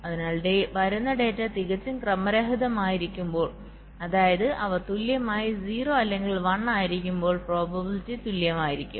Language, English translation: Malayalam, so when the data which is coming is totally random, which means they are equally zero or one, the probabilities are equal